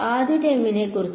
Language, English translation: Malayalam, What about the first term